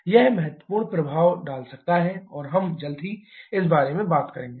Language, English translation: Hindi, That can have significant impact we shall we talking about this one also shortly